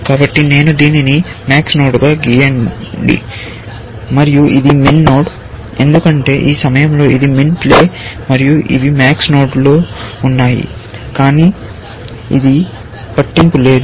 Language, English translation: Telugu, So, let me draw this as the max node, and this is the min node, because it is min play here, and these on max nodes, but it does not matter